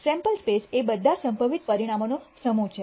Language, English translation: Gujarati, The sample space is the set of all possible outcomes